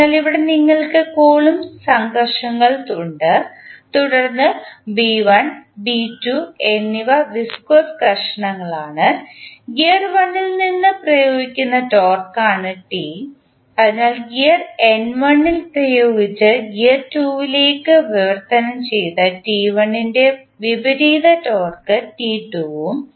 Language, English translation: Malayalam, So, here you have the Coulomb frictions, then B1 and B2 are the viscous frictions, T is the torque applied from the gear 1, so the opposite torque which is T1 applied on the gear N1 and translated to gear 2 is T2 and the energy transferred from gear 2 the object which is having inertia equal to J2